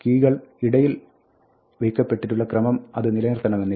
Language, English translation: Malayalam, It may not preserve the keys in the order in which they are inserted